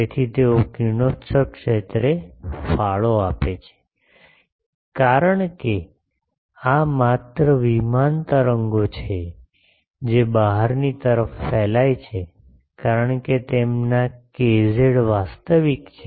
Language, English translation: Gujarati, So, they are the contribute to the radiated field, since these are the only plane waves propagating outwards as their k z is real ok